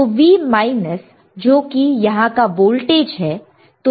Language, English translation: Hindi, So, V minus which is voltage over here right